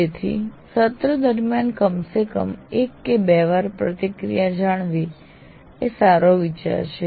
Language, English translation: Gujarati, So it is a good idea to have at least once or twice feedback in the middle of the semester